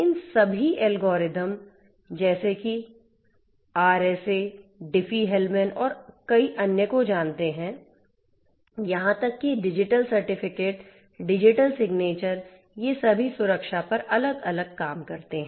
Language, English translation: Hindi, All these algorithms like you know RSA, Diffie Hellman and many others right, even the digital certificates and so on; digital signatures and so on; so, all of these different different works on security